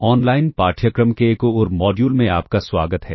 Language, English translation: Hindi, Welcome to another module in this massive open online course